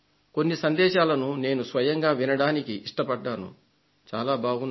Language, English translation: Telugu, I listened to some message personally and I liked them